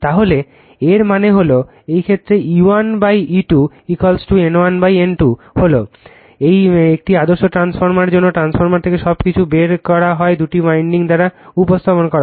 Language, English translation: Bengali, So that means, in this case your E 1 by E 2 is equal to N 1 by N 2 is an ideal transformer as if everything is taken out from the transformer are represented by two winding